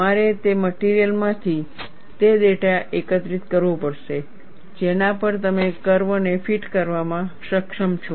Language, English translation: Gujarati, You have to collect that data from the material, on which you have been able to fit the curve